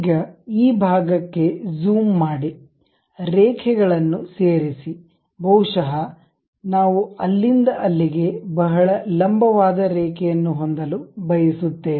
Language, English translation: Kannada, Now, zoom into this portion, add lines, perhaps we would like to have a very vertical line from there to there, done